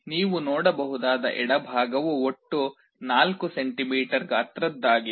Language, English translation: Kannada, The one on the left you can see is 4 centimeters total in size